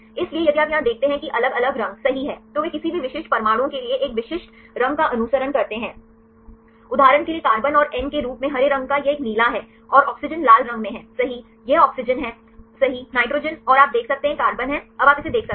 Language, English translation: Hindi, So, if you see here there are different colors right they follow a specific color for any specific atoms for example, the green as carbon and N for this nitrogen is a blue right and the oxygen is in red right this is oxygen right this is the nitrogen and you can see this is the carbon now you can see this